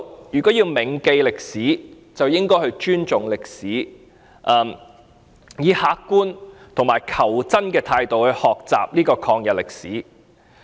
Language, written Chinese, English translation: Cantonese, 如果要銘記歷史，便應該尊重歷史，以客觀和求真的態度來學習抗日歷史。, To promote remembrance of history we should respect history and learn the anti - Japanese history in an objective and truth - seeking manner